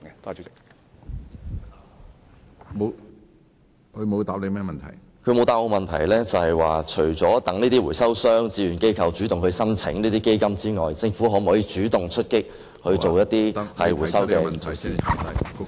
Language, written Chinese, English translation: Cantonese, 局長沒有答覆我，除了等待回收商和志願機構主動向基金提出申請外，政府會否主動出擊推行回收措施呢？, The Secretary has not answered the question of whether the Government will take the initiative to launch recycling measures apart from waiting for recycling operators and voluntary organizations to initiate applications under the Fund